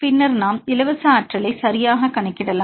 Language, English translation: Tamil, And you can see the free energy